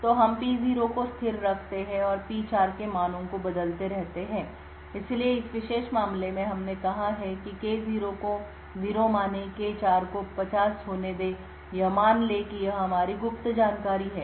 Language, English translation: Hindi, So, we keep P0 a constant and keep changing the values of P4, so in this particular case we have let us say taken the K0 to be 0, K4 to be 50 let us assume that this is our secret information